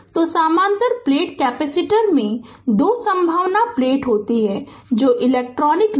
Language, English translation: Hindi, So, parallel plate capacitor consists of two conducting plates separated by dielectric layer right